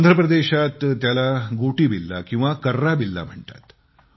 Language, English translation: Marathi, In Andhra Pradesh it is called Gotibilla or Karrabilla